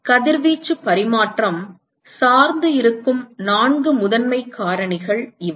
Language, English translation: Tamil, So, these are the four primary factors on which the radiation exchange would depend on